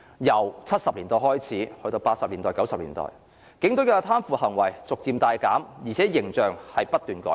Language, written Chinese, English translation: Cantonese, 由1970年代開始，至1980年代、1990年代，警隊的貪腐行為逐漸大減，形象不斷改善。, From 1970s through 1990s corruption cases involving police officers had drastically reduced while their image has kept to improve